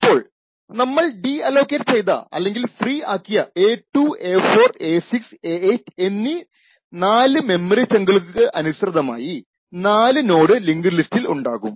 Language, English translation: Malayalam, So, since we have deallocated or which since we have freed 4 chunks of memory a2, a4, a6 and a8 we have 4 nodes in the linked list